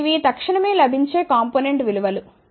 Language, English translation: Telugu, Now, these are readily available component values